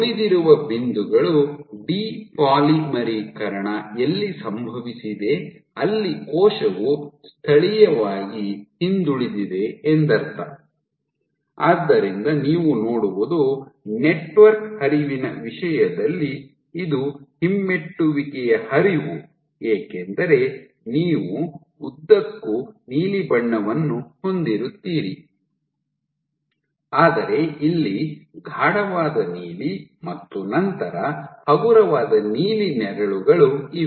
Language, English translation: Kannada, Remaining points, let us say where depolymerization has happened the cell has the locally the cell has moved backward, so that is what you see and for in terms of network flow because it is retrograde flow you will have blue throughout, but deep blue here and then lighter blue shades here